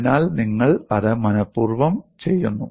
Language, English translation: Malayalam, So, you deliberately do that